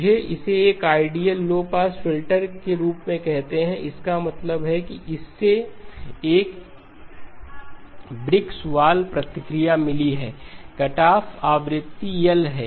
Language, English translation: Hindi, Let me call it as an ideal low pass filter that means it has got a brick wall response, the cutoff frequency is pi over L